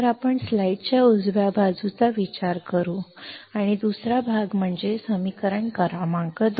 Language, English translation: Marathi, So, let us consider the right side of the slide and second half that is the equation number 2